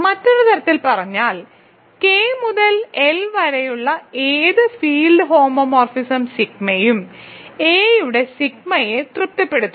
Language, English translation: Malayalam, So, in other words that is any field homomorphism fixes any field homomorphism sigma from K to L satisfies sigma of a is equal to a for all a in F